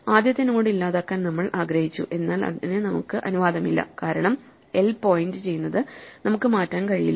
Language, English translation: Malayalam, So, we wanted to delete the first node, we are not allowed to delete the first node because we cannot change what l points to